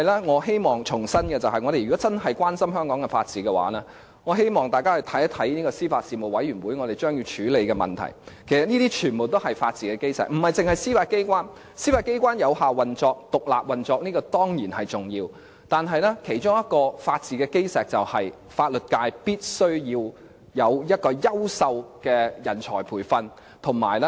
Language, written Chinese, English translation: Cantonese, 我希望重申的是，如果大家真心關注香港法治的話，就必須看看司法及法律事務委員會將要處理的問題，因為這些全都是法治的基石；當中不單包括司法機關的有效運作、獨立運作，這當然是重要的，而其中一個法治的基石便是法律界必須要有優秀的人才培訓。, What I want to reiterate is that people who really care about the rule of law in Hong Kong must take a look at the issues that will soon be handled by the Panel on Administration of Justice and Legal Services . All these are the cornerstones of the rule of law and these include not only the effective operation of the Judiciary the independent operation of the Judiciary―these are important for sure but also excellent personnel training for the legal profession . This is also a foundation of the rule of law